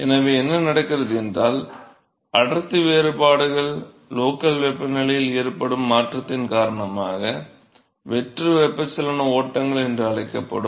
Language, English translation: Tamil, So, what happens is that the density differences, the density differences that will result, because of change in the local temperature is going to lead to what is called free convection flows